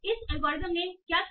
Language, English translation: Hindi, So what did this algorithm did